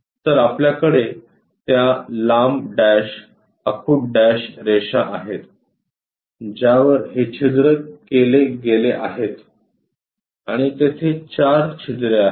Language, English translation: Marathi, So, we have that long dash, short dash lines on which these holes has been have been drilled and there are four holes